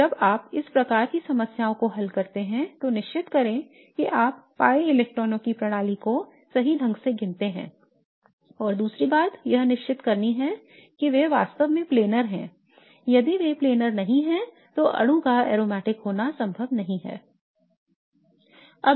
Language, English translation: Hindi, So when you are looking at solving these kinds of problems make sure that you count the system of pi electrons correctly and second thing is to make sure that they are actually planar